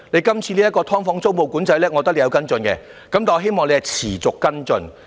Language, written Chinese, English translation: Cantonese, 今次這項"劏房"租務管制，我覺得你有跟進，亦希望你能持續跟進。, You must understand that community visits entail follow - up efforts . I think you have followed up on this tenancy control on SDUs and I hope you can continue to do so